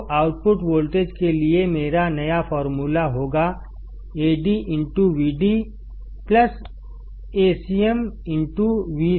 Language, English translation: Hindi, So, my new formula for the output voltage will be Ad into Vd plus Acm into V cm